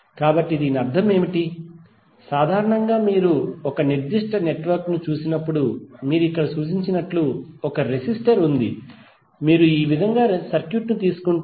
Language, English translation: Telugu, So what does it mean, some generally when you see a particular network like if you represent here there is a resistor, if you take the circuit like this